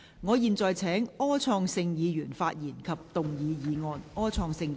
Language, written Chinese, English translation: Cantonese, 我現在請柯創盛議員發言及動議議案。, I now call upon Mr Wilson OR to speak and move the motion